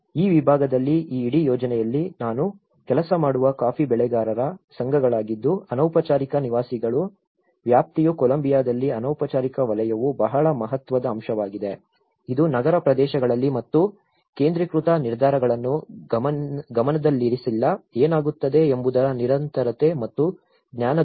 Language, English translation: Kannada, In this segment, in this whole project, because it’s a coffee growers associations which I working on, the coverage of informal dwellers because informal sector is very significant aspect in Colombia which has not been addressed and concentrated decision making in urban areas and lack of continuity and loss of knowledge what happens